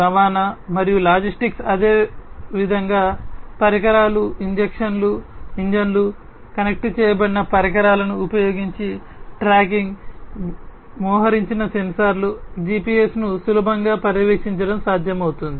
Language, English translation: Telugu, Transportation and logistics likewise you know it is possible to easily monitor the equipments, engines, tracking using the connected devices, deployed sensors, gps etc